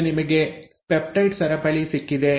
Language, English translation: Kannada, Now you have got a peptide chain